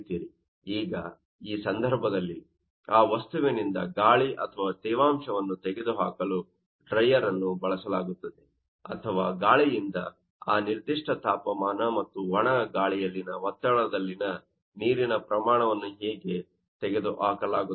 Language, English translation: Kannada, Now, in this case, since dryer is used to you know moisture air or remove the moisture from that object or from the air you know that now, how was the amount of actually what air is removed at that particular temperature and pressure in the dry air